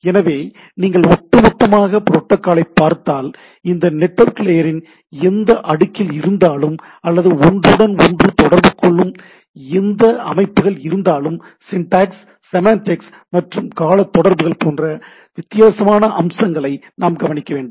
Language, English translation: Tamil, So, that if you look at the protocol as a whole at any layer of this network layer or for that for that matter any systems which communicate with one another, I need to look at this different aspects – syntax, semantics and this timing relationships right